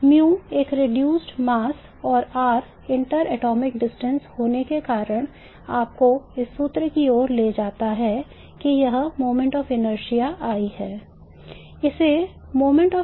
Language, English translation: Hindi, The mu being a reduced mass and r being the inter atomic distance leads you to this formula that the moment of inertia I is that